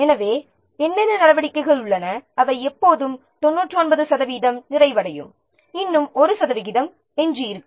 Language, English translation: Tamil, So, some what activities are there, they are always when you will see 99% complete, still 1% is remaining